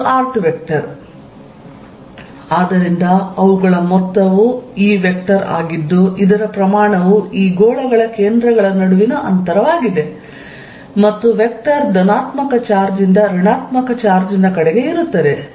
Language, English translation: Kannada, So, their sum is this vector whose magnitude that distance between the centres of theses spheres and vector is from positive charge towards the negative charge